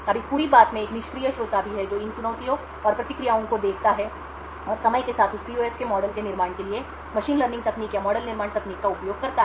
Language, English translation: Hindi, Now there is also a passive listener in this entire thing who views these challenges and the responses and over a period of time uses machine learning techniques or model building technique to build a model of that PUF